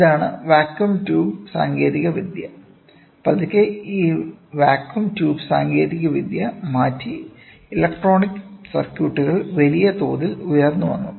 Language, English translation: Malayalam, This is vacuum tube technology; slowly this vacuum tube technology is changed and the electronic circuits have come up in a big way